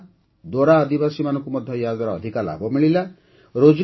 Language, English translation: Odia, The Konda Dora tribal community has also benefited a lot from this